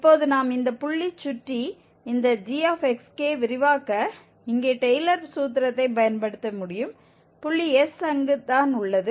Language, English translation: Tamil, And now we can use the Taylor's formula here for expanding this g xk around this point exactly, the point s there